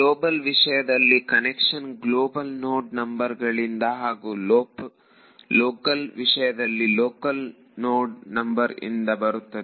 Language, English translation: Kannada, When I talk about global edges, the convention comes from global node numbers when I talk about local edges the convention comes from local node numbers ok